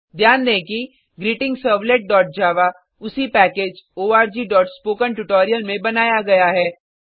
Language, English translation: Hindi, Note that GreetingServlet.java is created in the same package org.spokentutorial